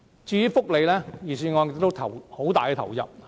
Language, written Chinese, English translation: Cantonese, 至於福利問題，預算案對此亦有很大投入。, The Budget has also invested abundant resources in social welfare